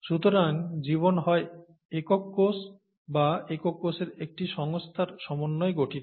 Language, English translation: Bengali, So life is made up of either single cells, or an organization of single cells